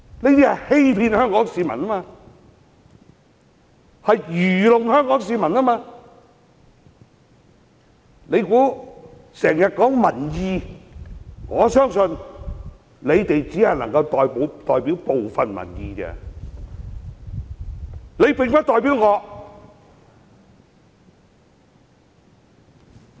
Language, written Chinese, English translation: Cantonese, 反對派經常說他們代表民意，我相信他們只能代表部分民意，他們並不代表我。, The opposition Members always say that they represent public opinions . I believe that they represent the views of some members of the public since they do not represent me